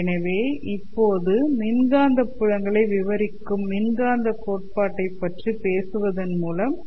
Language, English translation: Tamil, So let us begin by talking about electromagnetic theory